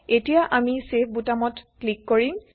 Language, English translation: Assamese, Now let us click on the Save